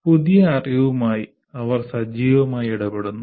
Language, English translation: Malayalam, And they use active engagement with the new knowledge